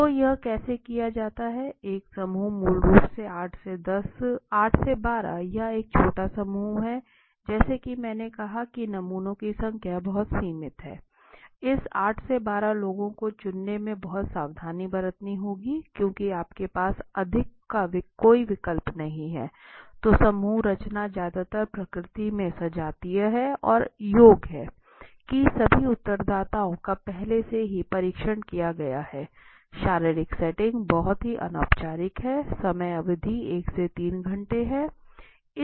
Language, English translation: Hindi, So how it is done the characteristics are group says basically 8 12 so it is small group so as I said that the number of samples are very limited one has to very careful in selecting this 8 12 people because you do not have an option of having more right so the group composition is mostly homogeneous in nature and prescreened that means each of the respondents has been already tested beforehand right physical setting is very informal and relaxed it is; the time is duration is 1 to 3 hours